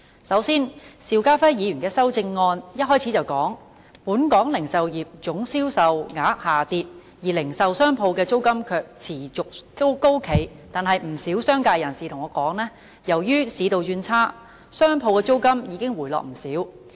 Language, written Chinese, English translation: Cantonese, 首先，邵家輝議員的修正案開首就指出本港零售業總銷售額下跌，而零售商鋪的租金卻持續高企，但不少商界人士對我說，由於市道轉差，商鋪租金已經回落不少。, First of all Mr SHIU Ka - fais amendment points out right from the outset that despite the drop of the value of total retail sales retail shop rentals have been persistently high . However some members of the business sector have told me that as retail sales have worsened retail shop rentals have seen a significant drop